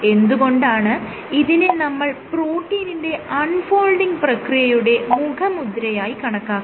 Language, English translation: Malayalam, And why do we say that this is a signature associated with protein folding